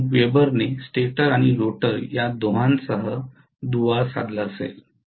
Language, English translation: Marathi, 9 weber will have linked with both the stator and rotor